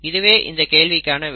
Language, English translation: Tamil, So that is the answer to the question